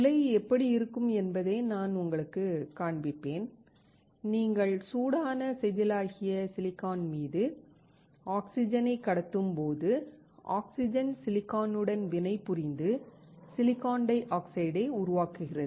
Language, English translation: Tamil, I will show you how the furnace looks like and you pass oxygen onto the heated wafer which is silicon, then the oxygen will react with silicon to form silicon dioxide